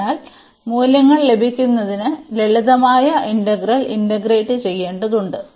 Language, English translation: Malayalam, So, we need to just integrate the simple integral to get the values